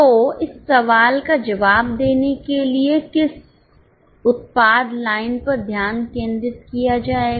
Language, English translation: Hindi, So, to respond to this question, which product line will be focused